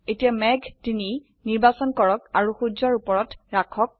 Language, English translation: Assamese, Now lets select cloud 3 and place it above the sun